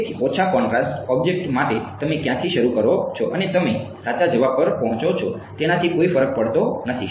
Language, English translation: Gujarati, So, for a low contrast object it does not matter where you start from and you arrive at the correct answer